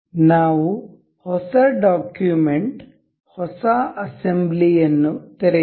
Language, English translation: Kannada, Let us open a new document, new assembly